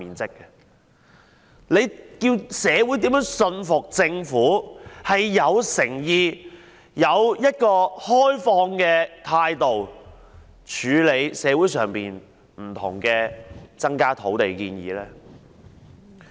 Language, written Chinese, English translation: Cantonese, 這樣叫社會如何信服政府有誠意、持開放的態度處理社會增加土地的各項建議呢？, Under such circumstances how can society be convinced that the Government is sincere and open to deal with various proposals to increase land supply?